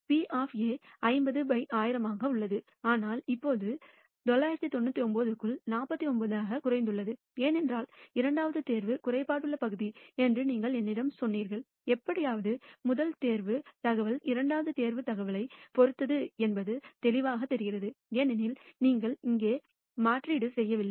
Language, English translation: Tamil, Notice probability of A itself is 50 by 1,000, but it has now reduced to 49 by 999, because you told me that the second pick was a defective part clearly it seems to be that somehow the first pick information is dependent on the second pick information which is obviously true because you have not done a replacement here